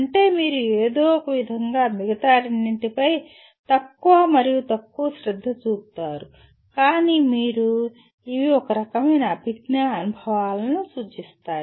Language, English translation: Telugu, That means you somehow pay less and less attention to the other two but you are; these represent kind of a dominantly cognitive experiences